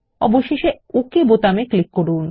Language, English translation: Bengali, Finally, click on the OK button